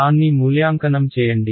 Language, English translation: Telugu, Just evaluate it